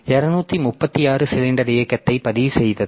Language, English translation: Tamil, So, it has to move by 236 cylinders